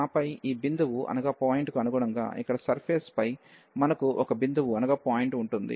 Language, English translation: Telugu, And then corresponding to this point, we will have a point there in the on the surface here